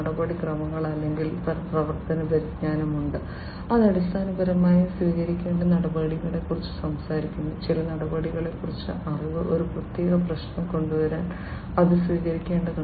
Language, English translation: Malayalam, There is procedural or, operational knowledge, which basically talks about the procedures that will have to be adopted in order to; the knowledge about certain procedures, that will have to be adopted in order to come up with a, you know, a or solve a particular problem